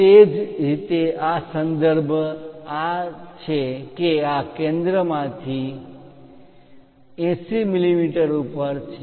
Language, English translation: Gujarati, Similarly, the reference is this center is at 80 mm from this